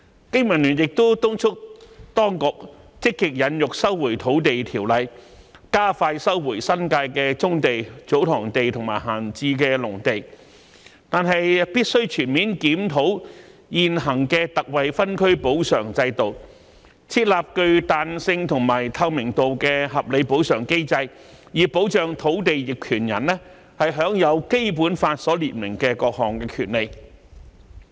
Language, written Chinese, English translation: Cantonese, 經民聯亦敦促當局積極引用《收回土地條例》，加快收回新界的棕地、祖堂地及閒置農地，但必須全面檢討現行的特惠分區補償制度，設立具彈性和透明度的合理補償機制，以保障土地業權人享有《基本法》所列明的各項權利。, BPA also urges the authorities to while proactively invoking the Lands Resumption Ordinance to expedite the resumption of brownfield sites TsoTong lands and idle agricultural land in the New Territories conduct a comprehensive review on the existing ex - gratia zonal compensation system and set up a reasonable compensation mechanism with flexibility and transparency so as to safeguard various rights to which land owners are entitled as set out in the Basic Law